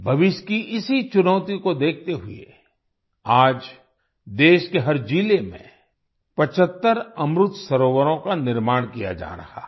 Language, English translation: Hindi, Looking at this future challenge, today 75 Amrit Sarovars are being constructed in every district of the country